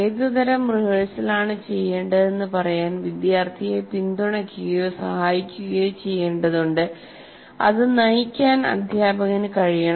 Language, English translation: Malayalam, Student needs to be supported or helped to say what kind of rehearsal he should be doing and teacher should direct that